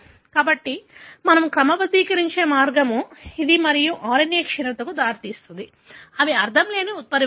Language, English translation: Telugu, So, this is the way we sort of quantify and then establish thatnonsense mutations results in the degradation of the RNA